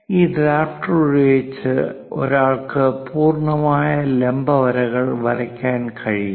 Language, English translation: Malayalam, Using this drafter, one can draw complete vertical lines